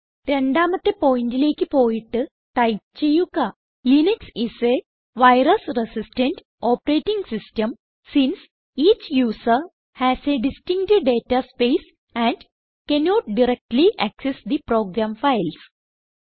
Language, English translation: Malayalam, We will go to point number 2 and type Linux is a virus resistant operating system since each user has a distinct data space and cannot directly access the program files